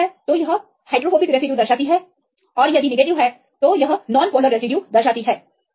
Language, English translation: Hindi, Positive gives for the hydrophobic and the negative gives this non polar amino acid